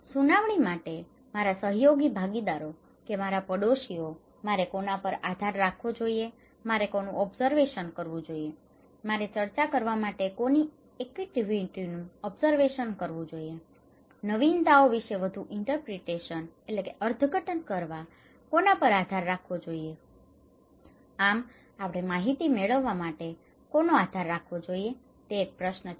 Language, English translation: Gujarati, For hearing, whom I should depend; to my cohesive partners or my neighbourhoods, for observations whom I should observe, whose activities I should observe for discussions, more intimate subjective interpretations about the innovations, whom should I depend on so, the question is to whom we should depend for acquiring information